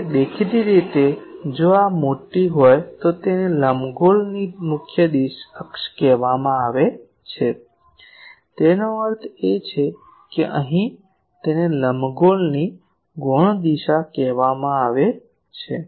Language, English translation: Gujarati, So, this ellipse; obviously, if this is larger this is called major axis of the ellipse; that means, here to here and here to here it is called the minor axis of the ellipse